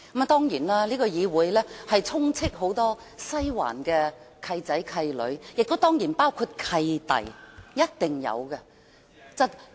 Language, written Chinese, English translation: Cantonese, 當然，這個議會充斥很多西環"契仔"、"契女"，當然亦有"契弟"，是一定有的。, Of course this Council is swarmed with Western District godsons and goddaughters and of course god brothers for sure